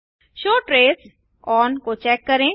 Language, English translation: Hindi, check the show trace on